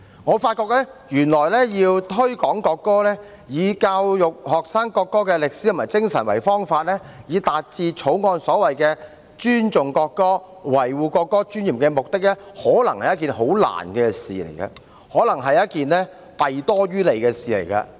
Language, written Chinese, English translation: Cantonese, 我發覺原來要推廣國歌，以教育學生國歌的歷史和精神為方法，達致《條例草案》所謂的尊重國歌，維護國歌尊嚴的目的，可能是一件很困難的事，可能是一件弊多於利的事。, It has occurred to me that to promote the national anthem to by way of educating the students on the history and spirit of the national anthem achieve the objective of inspiring respect for the national anthem and preserving the dignity of the national anthem so to speak as set out in the Bill is probably a very difficult thing which does more harm than good